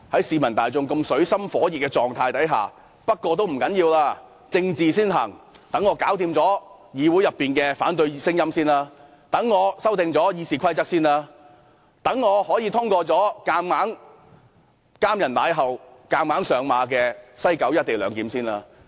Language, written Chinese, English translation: Cantonese, 市民大眾在這水深火熱下，政府竟然表示，不打緊，政治先行，先讓政府處理議會內的反對聲音，讓政府可修訂《議事規則》，讓政府可先通過"監人賴厚"、強行上馬的西九龍站"一地兩檢"議案。, When people are in dire straits the Government couldnt care less and deals with politics first . It first suppress the opposing voices in the Council amends RoP and passes the motion concerning the forcible implementation of the co - location arrangement at the West Kowloon Station